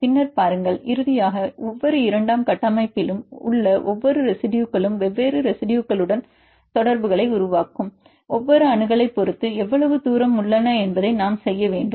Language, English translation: Tamil, Then see, then finally, we need to do the potentials how far each residue in each secondary structure are depending on each accessibility they are making contacts with the different residues